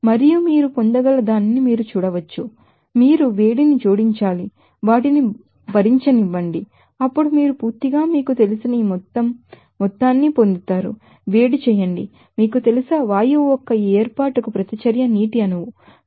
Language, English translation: Telugu, And also you can see that that can be obtained you know that that that you have to add the heat up let me to bear for addition they are then totally you will get this total amount you know, heat up, you know, reaction for this formation of gash was water molecule